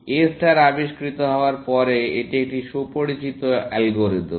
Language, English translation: Bengali, After A star was discovered, it is quite a well known algorithm